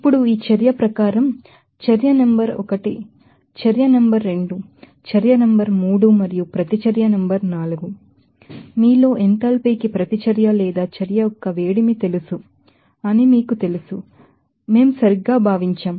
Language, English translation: Telugu, Now, according to this reaction, we right we considered that reaction number 1 reaction number 2 reaction number 3 and reaction number 4 and respective you know that enthalpy of you know reaction or heat of reaction, it is there